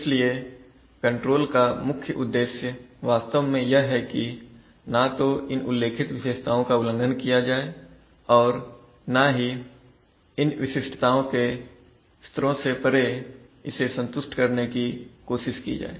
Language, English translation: Hindi, So the basic objective of control is actually to meet the specifications as stated neither violated nor try to satisfy it beyond the levels of specification